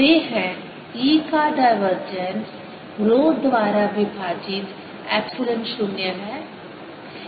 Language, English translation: Hindi, they are: divergence of e is rho over epsilon zero